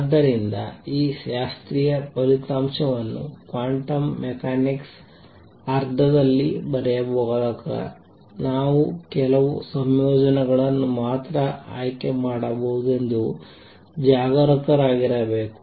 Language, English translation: Kannada, So, while writing this classical result in a quantum mechanics sense, I have to be careful I can choose only certain combinations